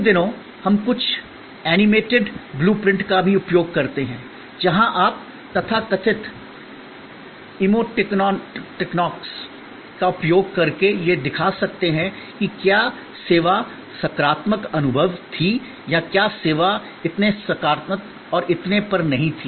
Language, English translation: Hindi, These days, we also use some animated blue prints, where you can use the so called emoticons to show that, whether the service was the positive experience or whether the service was not so positive and so on